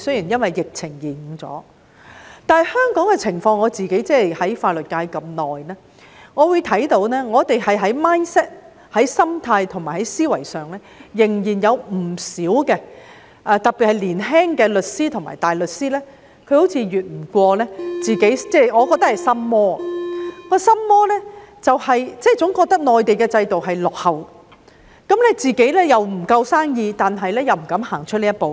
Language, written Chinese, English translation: Cantonese, 然而，對於香港的情況，我自己在法律界這麼久，看到我們在 mindset 和思維上仍有不少障礙；特別是年輕的律師和大律師，我覺得他們好像跨不過自己的心魔，總覺得內地的制度落後，但自己生意不夠，又不敢踏出這一步。, However having been in the legal profession for so long I can see that there are still many barriers in our mindset and thinking . This is particularly true of young solicitors and barristers who seem to me incapable of overcoming their inner demons always feeling that the Mainland system is backward . However while there is not enough business they dare not take this step forward